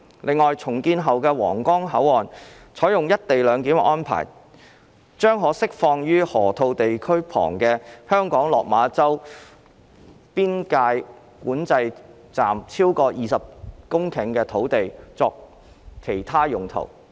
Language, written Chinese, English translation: Cantonese, 另外，重建後的皇崗口岸採用"一地兩檢"安排，將可釋放位於河套地區旁的香港落馬洲邊境管制站超過20公頃土地作其他用途。, Besides since co - location arrangement is to be implemented at the redeveloped Huanggang Port over 20 hectares of land will be released from Lok Ma Chau Boundary Control Point of Hong Kong near the Loop for other uses